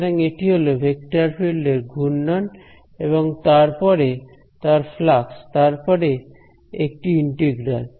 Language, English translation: Bengali, So, it is the swirl of a vector field and after that the flux of that and then an integral ok